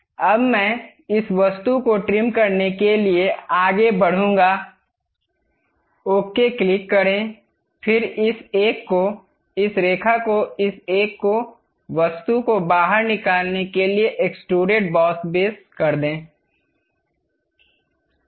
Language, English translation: Hindi, Now, I will go ahead trim this object, click ok; then pick this one, this line, this one, this one to extrude the object, extrude boss base